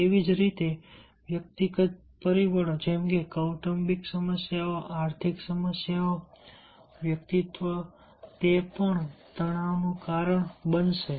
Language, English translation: Gujarati, similarly, individual factors like family problems, economic problems, personality, they will also cause the stress